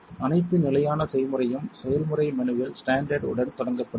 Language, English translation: Tamil, All of the standard recipe starts with std in the process menu